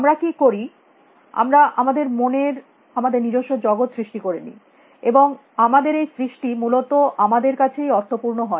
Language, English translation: Bengali, What we do is that we create our own worlds in our minds, and it is only our creation that is meaningful to us essentially